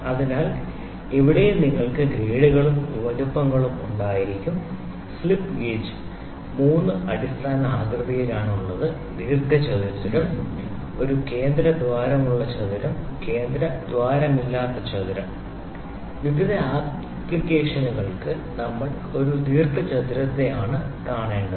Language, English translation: Malayalam, So, here also you will have grades and sizes the slip gauges are available in 3 basic shapes rectangle, square with a central hole and square without a central hole for various application